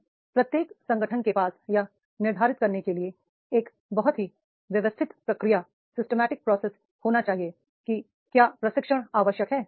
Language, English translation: Hindi, Now, every organization should have a very systematic process to determine whether training is necessary